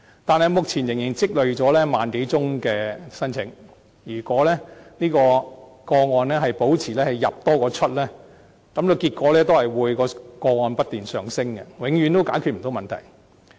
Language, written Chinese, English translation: Cantonese, 但是，目前仍然積累了萬多宗聲請個案，如果這類個案保持"入多於出"，結果會是個案不斷上升，永遠解決不了問題。, However at present the backlog of non - refoulement claims still numbers more than 10 000 cases . If new cases keep outnumbering completed cases the number of cases will only rise endlessly and the problem will remain unresolved forever